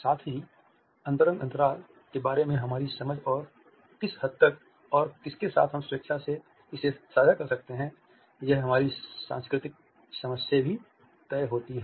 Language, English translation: Hindi, At the same time our understanding of intimate space and to what extent we can willingly share it with others and with whom is also decided by our cultural understanding